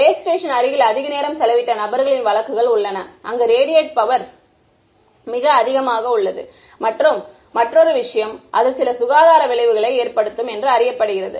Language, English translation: Tamil, There are reported cases of people whose have spent a lot of time close to base stations where the radiated power is much higher and that has known to cause some health effects that is another thing